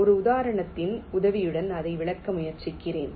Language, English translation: Tamil, why it is so, let me try to explain it with the help of an example